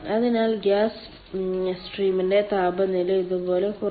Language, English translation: Malayalam, so gas stream it uh, its temperature will decrease like this